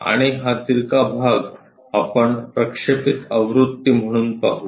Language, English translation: Marathi, And this incline part we will see as projected version